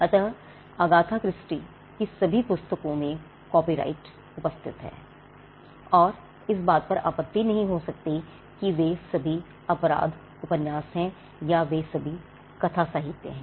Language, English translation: Hindi, So, copyright subsist in all the books of Agatha Christie and they cannot be an objection that they are all crime novels, or they are all works of fiction